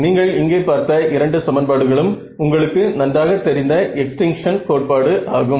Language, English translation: Tamil, These two equations that you see over here they are your familiar extinction theorem right